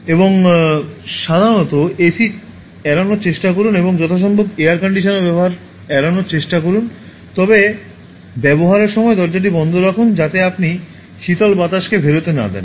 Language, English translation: Bengali, And generally, try to avoid AC and as much as possible try to avoid using air conditioners, but when in use close the door, so that you will not let the cool air escape